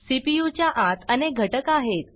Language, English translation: Marathi, There are many components inside the CPU